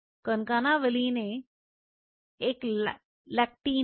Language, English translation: Hindi, Concana Valin A in a is a lectin what is a lectin